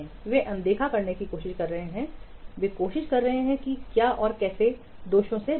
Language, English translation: Hindi, They are trying to avoid, they are trying to what avoid the defects